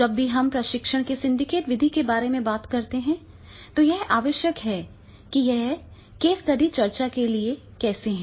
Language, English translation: Hindi, Whenever we talk about the syndicate method of the training, then that is required, that is how the one is for case study discussion suppose